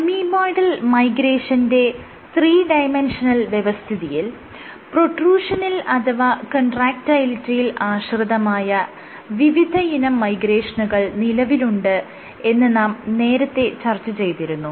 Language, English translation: Malayalam, I had previously discussed that in Amoeboidal Migration you can have multiple modes of migration in 3D, using more Protrusion dependent or Contractility dependent